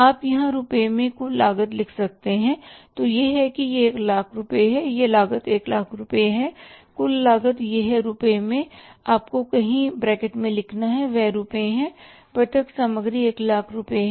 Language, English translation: Hindi, This cost is 1 lakh rupees, total cost is it is in the rupees, you have to write somewhere in the bracket that is rupees and direct material is 1 lakh rupees